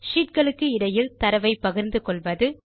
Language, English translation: Tamil, Sharing content between sheets